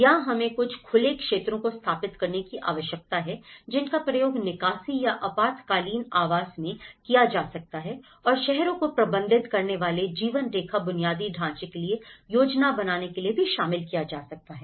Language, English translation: Hindi, Here, we need to incorporate to set out some open areas that could be used for the evacuation or emergency housing, in case of disaster and to plan for lifeline infrastructure that cities manage